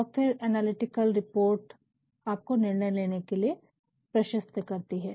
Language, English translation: Hindi, And, then these analytical reports may lead to decision making